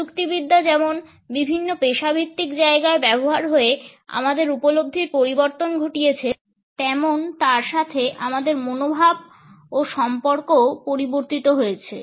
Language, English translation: Bengali, As the technology changed our perception about it is use in different professional settings, our attitudes towards it and our relationships with it also changed